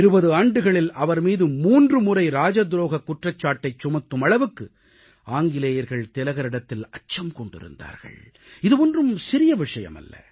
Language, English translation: Tamil, The British were so afraid of Lok Manya Tilak that they tried to charge him of sedition thrice in two decades; this is no small thing